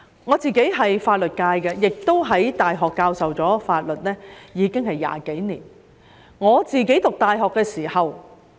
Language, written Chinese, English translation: Cantonese, 我屬法律界，在大學教授法律亦已有20多年。我讀大學時......, I am a legal practitioner and have been teaching law at university for over two decades